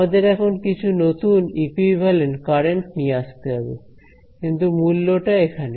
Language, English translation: Bengali, We have to now introduce some now new equivalent currents right, but the price here